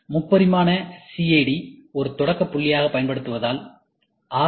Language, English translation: Tamil, Since, 3D CAD is being used as a starting point